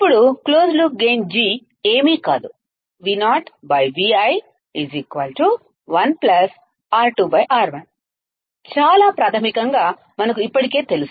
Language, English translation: Telugu, Now, closed loop gain G is nothing but Vo by Vi is 1 plus R 2 by R 1 that we already do know as it is very basic